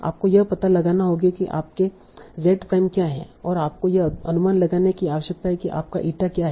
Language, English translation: Hindi, You need to find out what are your x prime and you need to estimate what are your eta